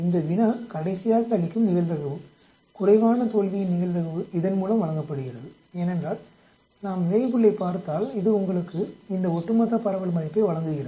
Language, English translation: Tamil, The probability that the problem is giving last, probability of failure for less than is given by this because where if we look at the Weibull it gives you this value cumulative distribution